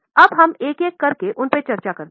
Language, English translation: Hindi, Now let us see or discuss them one by one